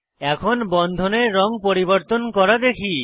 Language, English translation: Bengali, Lets see how to change the color of bonds